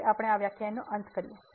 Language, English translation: Gujarati, So, that is the end of the lecture